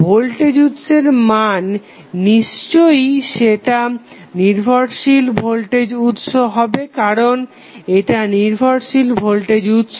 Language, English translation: Bengali, The value of the voltage source that is definitely would be the dependent voltage source because this is the dependent current source